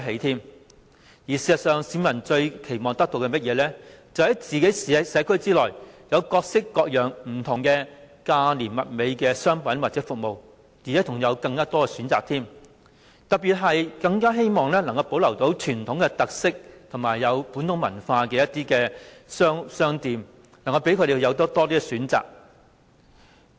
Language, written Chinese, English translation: Cantonese, 事實上，市民最期望得到的是，在自己的社區內有各式各樣價廉物美的商品或服務，並且有更多選擇，特別是他們更希望能保留傳統特色和本土文化的商店，讓他們有更多選擇。, In fact what the people most expect is the provision of a wide variety of inexpensive and quality goods or services in their communities which can in turn give them more choices . Particularly they all the more wish that shops with traditional characteristics and features of local culture can be preserved for them to have more choices